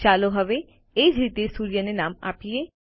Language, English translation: Gujarati, Let us now name the sun in the same way